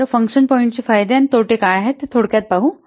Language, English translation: Marathi, So now let's summarize what are the pros and cons of the function points